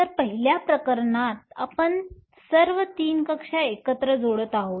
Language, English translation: Marathi, So, in the first case you are adding all 3 orbitals together